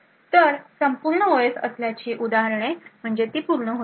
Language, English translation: Marathi, So, examples of having a full OS is that it will have complete